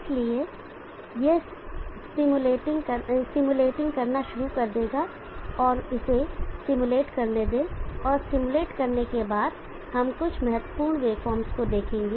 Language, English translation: Hindi, cir so it will start stimulating let it stimulate and after stimulating we will look at some important wave forms